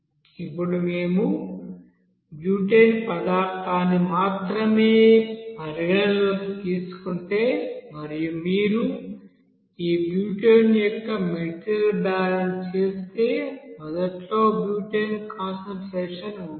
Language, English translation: Telugu, Now if we consider only that you know butane you know material, so if you do that material balance for this butane so we can right here initially butane concentration was you know, there will be some amount